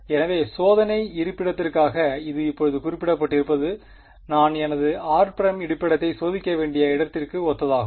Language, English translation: Tamil, So, this having being specified now for the testing location I have to testing location is corresponding to where I choose my r prime